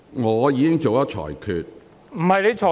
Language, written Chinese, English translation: Cantonese, 我已作出裁決。, I have already made my ruling